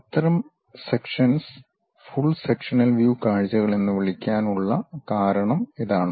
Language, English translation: Malayalam, There is a reason we call such kind of objects as full sectional views